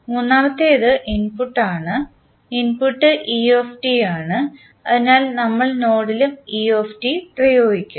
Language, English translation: Malayalam, Then third one is the input, input is et so we apply at the node et also